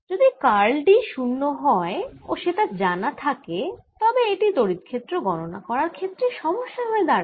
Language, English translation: Bengali, if curl of d was zero and it was known, it becomes like a problem of calculating electric field